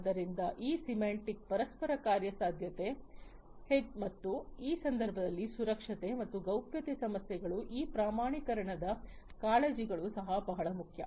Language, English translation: Kannada, So, that is the semantic interoperability and; obviously, security and privacy issues and the standardization concerns are also very important, in this context